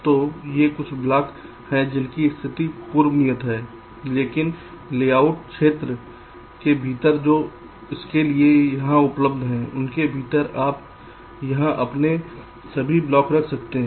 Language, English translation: Hindi, so these are some blocks whose positions are pre assigned, but within the layout layout area that is available to it in between here, within here, you can place all your blocks